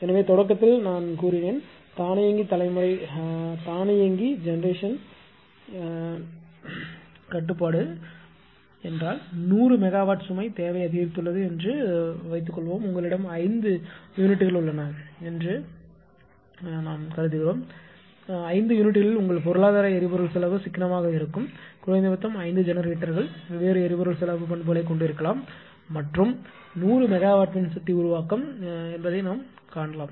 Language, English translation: Tamil, So, I told you at the beginning that automatic generation control means suppose one hundred megawatt one hundred megawatt ah load demand has increased suppose you have a 5 units that hundred megawatt you share among 5 units such that your economic ah your economic fuel fuel cost will be economical or minimum because 5 generators may have different fuel cost character and 100 megawatt you just ah just see that how things are happening